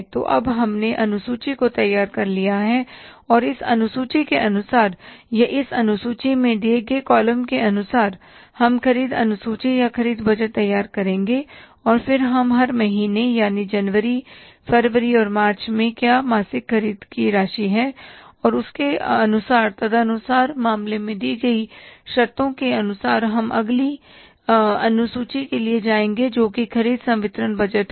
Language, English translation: Hindi, So, now we have prepared this schedule and as per this schedule or as per the columns given in this schedule, we will prepare the purchase schedule or the purchase budget and then we will try to find out for every month, that is the month of January, February and March what is going to be the monthly amount of purchases and accordingly then given as per the conditions given in the sick case, we will go for the next schedule that is a purchase disbursement budget